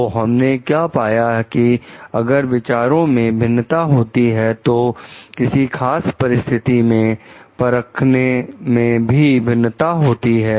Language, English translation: Hindi, So, what we find like if there is a difference in opinion, difference in judging particular situation